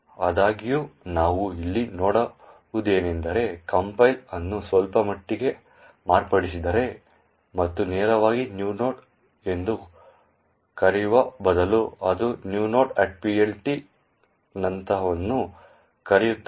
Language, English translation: Kannada, However, what we see over here is that the compiler has actually modified its slightly and instead of calling, calling new node directly it calls something like new node at PLT